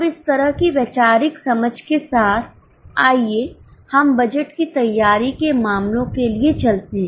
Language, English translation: Hindi, Now with this much of conceptual understanding, let us go for cases for preparation of budgets